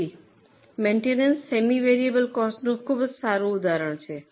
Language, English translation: Gujarati, So, maintenance becomes a very good example of semi variable costs